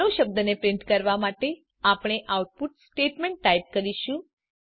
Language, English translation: Gujarati, We will type the output statement to print the word hello